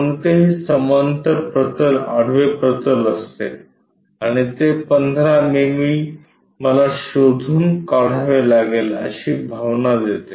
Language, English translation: Marathi, Any parallel plane is horizontal plane and that gives us a feeling like 15 mm I have to locate